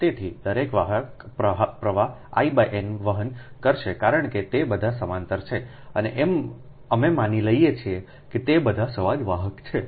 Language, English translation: Gujarati, so each conductor will carry currents i by n, because they all are in parallel and we assume they are all similar conductor